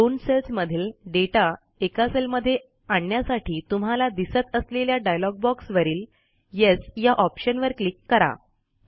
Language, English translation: Marathi, In order to move the contents of both the cells in a single cell, click on the Yes option in the dialog box which appears